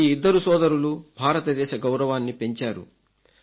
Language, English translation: Telugu, These two brothers have brought pride to the Nation